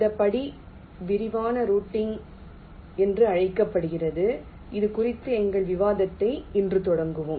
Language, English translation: Tamil, this step is called detailed routing and we shall be starting our discussion on this today